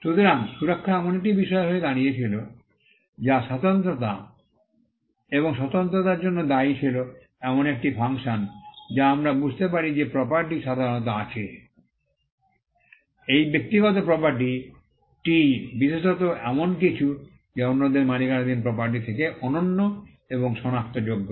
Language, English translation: Bengali, So, protection came to be something that was attributed to the uniqueness and uniqueness is a function that, we understand that property normally has; this private property especially, is something that is unique and identifiable from property that belongs to others